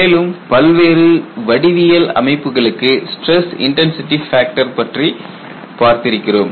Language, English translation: Tamil, And we have also looked at stress intensity factor for various geometries the insights